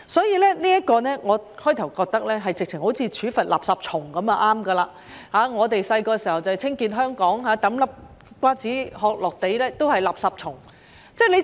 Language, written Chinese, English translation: Cantonese, 起初，我認為好像處罰"垃圾蟲"般便可，我們小時候宣傳要清潔香港，丟一顆瓜子殼在地上都是"垃圾蟲"。, At first I thought we could easily deal with them in a similar way as we punish litterbugs . In campaigns to clean Hong Kong when we were kids one would be called a litterbug for simply throwing a melon seed shell on the ground